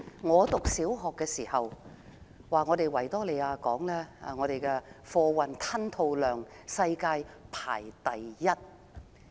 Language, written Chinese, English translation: Cantonese, 我唸小學的時候，維多利亞港的貨運吞吐量世界排名第一。, When I was in primary school the Victoria Harbour ranked the worlds first in terms of cargo throughput